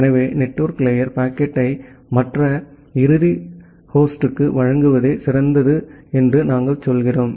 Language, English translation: Tamil, So, that is why we say that the network layer, it tries it is best to deliver the packet to other end host